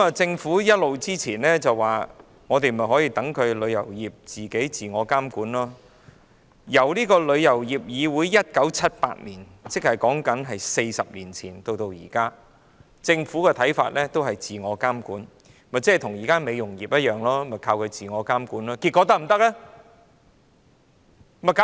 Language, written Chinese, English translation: Cantonese, 政府過往一直表示要讓旅遊業自我監管，旅議會於1978年成立，至今已40年，政府說要讓其自我監管，不就跟現時的美容業一樣，依靠自我監管，但可行嗎？, In the past the Government always talked about allowing the tourism industry to exercise self - regulation . TIC was established 40 years ago in 1978 . The Government claimed that the industry should be allowed to exercise self - regulation as in the case of the beauty industry; but does self - regulation work?